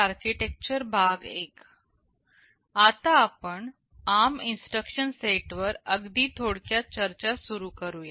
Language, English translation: Marathi, We shall now start a very short discussion on the ARM instruction set